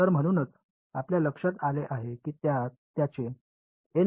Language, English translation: Marathi, So, that is why you notice that its N 1